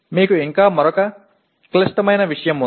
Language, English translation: Telugu, You still have another complex thing